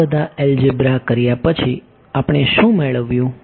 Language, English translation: Gujarati, So, after doing all of this algebra can, what have we gained